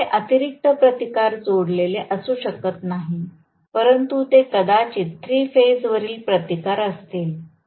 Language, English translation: Marathi, I can have additional resistances connected here but off course they maybe three phase resistance